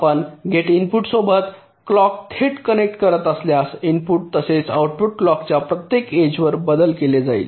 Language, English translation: Marathi, now, if you are directly connecting the clock with the gate input, so the input as well as the output will be changing at every edge of the clock